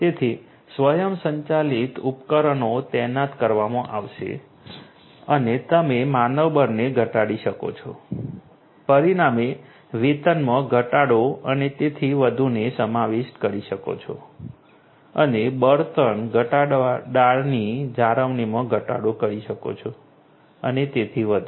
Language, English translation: Gujarati, So, automated devices would be you know deployed and you know you can have reduced you know manpower consequently reduced wages and so on to be incorporated and also you know reduced fuel reduced maintenance and so on